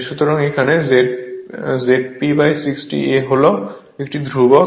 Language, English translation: Bengali, So, Z P upon 60 A is a constant right